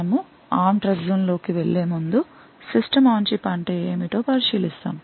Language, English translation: Telugu, Before we go into the ARM Trustzone we will take a look at what the System on Chip means